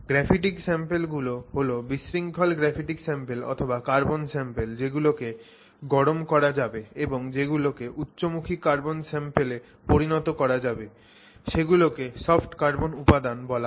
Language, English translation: Bengali, So, graphic samples which disordered graphic samples or disordered carbon samples which can be heat treated and converted to highly oriented carbon samples are referred to as soft carbon materials